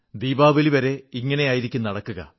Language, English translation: Malayalam, And this will go on till Diwali